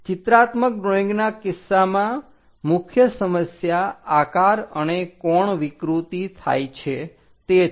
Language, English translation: Gujarati, In the case of pictorial drawing, the main objection is shape and angle distortion happens